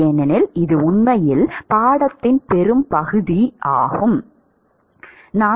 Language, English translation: Tamil, Because this is really the bulk of the course is actually on this topic